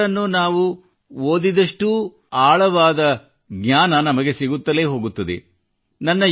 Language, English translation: Kannada, The more we read Sri Aurobindo, greater is the insight that we get